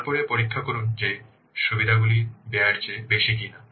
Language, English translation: Bengali, then check that benefits are greater than cost